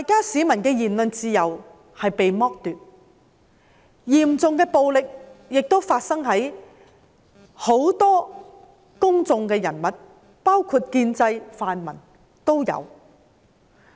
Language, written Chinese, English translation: Cantonese, 市民的言論自由被剝奪，嚴重的暴力亦發生在很多公眾人物身上，包括建制、泛民議員。, While many people have been deprived of their freedom of speech severe violence has also been used on many public figures including Members from the pro - establishment camp as well as the pro - democratic camp